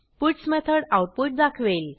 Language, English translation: Marathi, The puts method will display the output